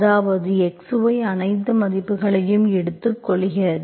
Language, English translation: Tamil, So that means you can write as x of y